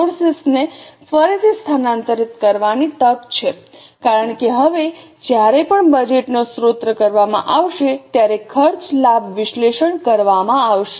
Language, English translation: Gujarati, There is an opportunity to reallocate the resource because now the cost benefit analysis will be done every time the resource of the budget will be done